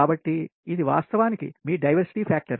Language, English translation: Telugu, so this is actually your diversity factor